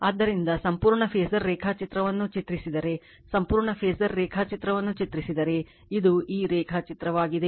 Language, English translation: Kannada, So, if you if you draw the complete phasor diagram , right, if you draw the complete phasor diagram so, this is the diagram